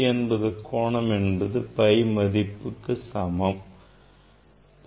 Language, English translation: Tamil, you know that 180 degree equal to pi